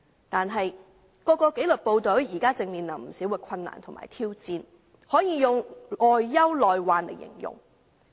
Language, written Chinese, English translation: Cantonese, 但是，各紀律部隊現正面對不少困難和挑戰，可用外憂內患來形容。, However the disciplined services each facing quite a few difficulties and challenges now can be described as suffering from both external and internal problems